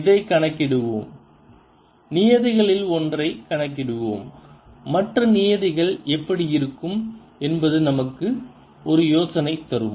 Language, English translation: Tamil, lets calculate one of the terms and that'll give us an idea what the other terms will be like